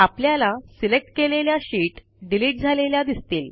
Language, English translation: Marathi, You see that the selected sheets get deleted